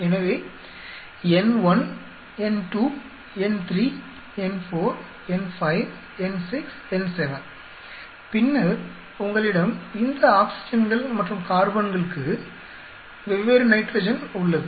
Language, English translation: Tamil, So, N1, N2, N3, N4, N5, N6, N7 and then you have different nitrogen for these oxygens and carbons